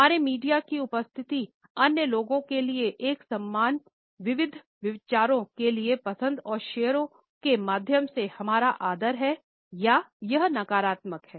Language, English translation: Hindi, Does our media presence show a respect for other people for the diversities of opinions through likes and shares also or is it a negative one